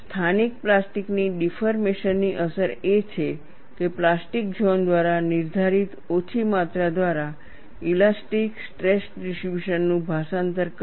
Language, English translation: Gujarati, The effect of localized plastic deformation is to translate the elastic stress distribution by a small amount dictated by the plastic zone